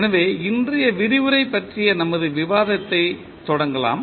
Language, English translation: Tamil, So, let us start our discussion of today’s lecture